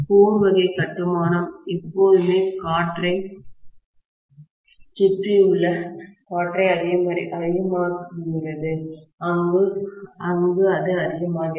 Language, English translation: Tamil, Core type construction always enhances air surrounding air more, where it makes it more